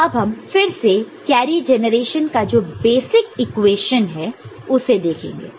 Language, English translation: Hindi, So, to do that let us again look at the basic equation of the carry generation